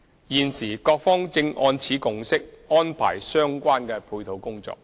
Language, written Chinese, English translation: Cantonese, 現時各方正按此共識安排相關配套工作。, The three sides are currently working on the related supporting arrangement accordingly